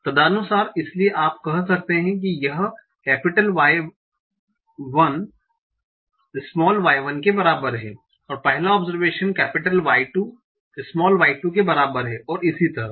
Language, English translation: Hindi, And correspondingly, so you can say this is Y1 is equal to Y1, first observation, y2 is equal to y2 and so on